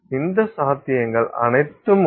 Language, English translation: Tamil, So, all these possibilities are there